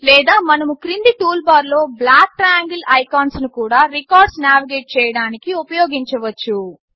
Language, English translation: Telugu, Or we can also use the black triangle icons in the bottom toolbar to navigate among the records